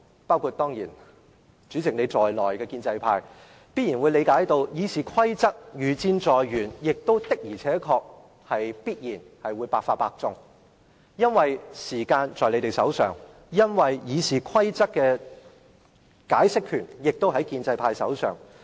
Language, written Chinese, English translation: Cantonese, 包括主席在內的建制派議員十分明白，《議事規則》的修訂如箭在弦，而且必定百發百中，因為時間握在建制派手上，《議事規則》的解釋權也握在他們手上。, Members of the pro - establishment camp including the President fully understand that the Rules of Procedure RoP are set to be amended without a single miss as time is in their hands . So is the power of interpreting RoP